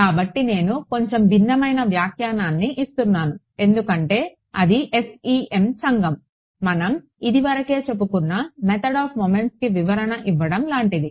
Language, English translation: Telugu, So, the reason I am giving a slightly different interpretation is because the FEM community it looks; it is like giving a interpretation to the method of moments equations which we had already derived